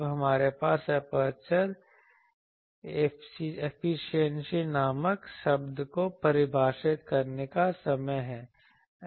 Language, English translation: Hindi, Now, we have that time defined a term called aperture efficiency